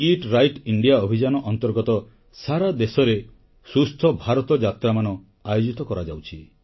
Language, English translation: Odia, Under the aegis of "Eat Right India" campaign, 'Swasth Bharat' trips are being carried out across the country